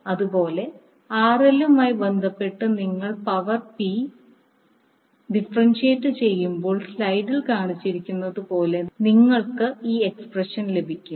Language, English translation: Malayalam, Similarly, when you differentiate power P with respect to RL you get the expression as shown in the slide